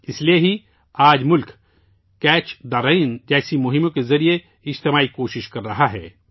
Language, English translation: Urdu, That is why today the country is making collective efforts through campaigns like 'Catch the Rain'